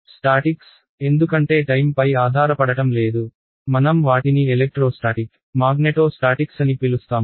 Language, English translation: Telugu, Statics right, because there is no time dependence, we call them electrostatic magneto statics or whatever; in general we will just call them statics